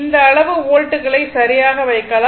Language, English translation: Tamil, And if you want you can put this much of volts right